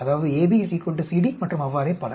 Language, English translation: Tamil, That means AB will be equal to CD and so on